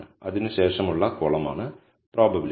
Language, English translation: Malayalam, The column after that is the probability